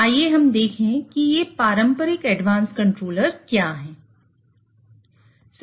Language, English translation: Hindi, So, let us look at what are this traditional advanced controllers